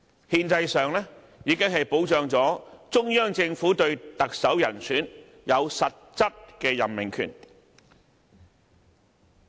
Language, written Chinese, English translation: Cantonese, "憲制上已經保障中央政府對特首人選有實質任命權。, Constitutionally this has secured the substantive power of the Central Government to appoint the Chief Executive